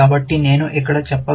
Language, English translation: Telugu, So, I could simply say it here